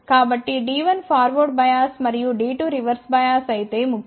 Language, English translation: Telugu, So, if D 1 is forward bias and D 2 is reversed bias it is important